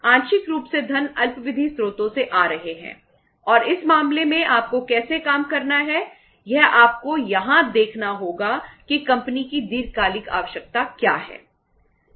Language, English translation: Hindi, Partly the funds are coming from the short term sources and in this case how you have to work out is that you have to see here that what is the long term requirement of the company